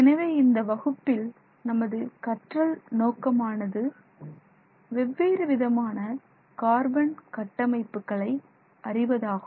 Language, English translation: Tamil, So, our learning objectives for this class are to distinguish between different types of traditionally known carbon structures